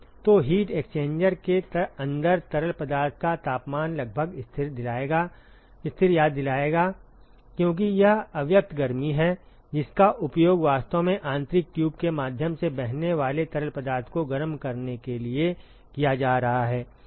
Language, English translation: Hindi, So, the temperature of the fluid inside the heat exchanger will remind approximately constant, because it is the latent heat which is actually being used to heat up the fluid which is flowing through the internal tube ok